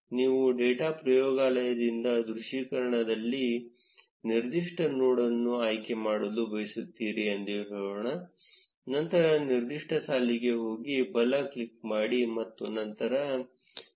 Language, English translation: Kannada, Let say, you want to select a particular node in the visualization from the data laboratory, then go to the particular row, right click and then select select on overview